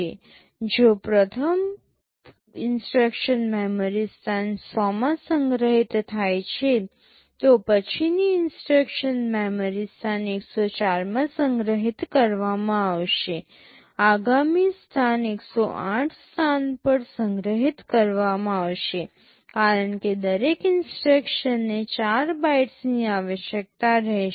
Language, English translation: Gujarati, So, if the first instruction is stored in memory location 100 the next instruction will be stored in memory location 104, next location will be stored in location 108, because each instruction will be requiring 4 bytes